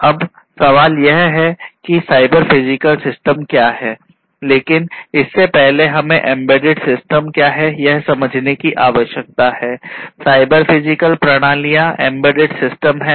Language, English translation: Hindi, Now, the question is that what is a cyber physical system, but before that we need to really understand what is an embedded system